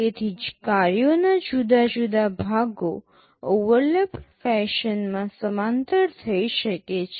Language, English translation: Gujarati, So, different parts of the tasks can be carried out in parallel in an overlapped fashion